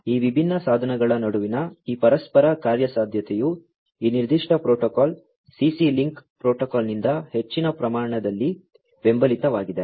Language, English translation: Kannada, So, this interoperability between these different devices is supported to a large extent by this particular protocol, the CC link protocol